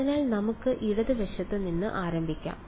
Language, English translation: Malayalam, So, let us start with the left hand side